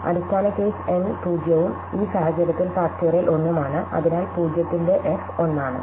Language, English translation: Malayalam, The base case, okay, is when n is 0 and in this case the factorial is 1, so f of 0 is 1